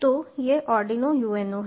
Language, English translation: Hindi, so this is the arduino uno